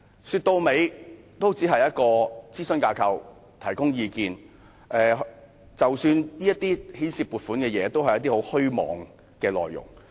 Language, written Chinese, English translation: Cantonese, 說到底也只是一個諮詢架構，提供意見，即使牽涉撥款的事項，也只是一些很虛妄的內容。, It is after all only an advisory framework tasked to give advice and despite the inclusion of matters relating to funding the areas covered are still vague and meaningless